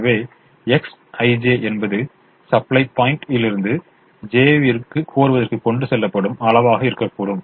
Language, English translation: Tamil, so let x i, j be the quantity transported from supply point i to demand j